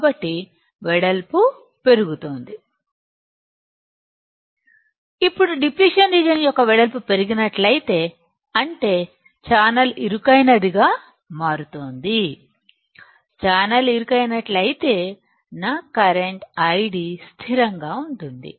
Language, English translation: Telugu, Now, if the width of depletion region is increasing; that means, channel is becoming narrower; if channel becomes narrower, my current I D will be constant